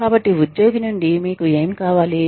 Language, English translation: Telugu, So, what do you want, from the employee